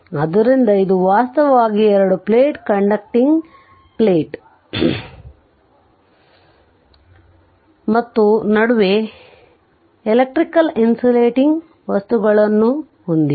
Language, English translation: Kannada, So, this is actually you have a two plate conducting plate and between you have dielectric we call insulating material right